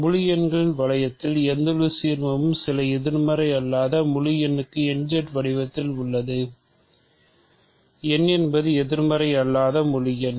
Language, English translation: Tamil, Any ideal of the ring of integers is of the form n Z for some non negative integer right, n is a non negative integer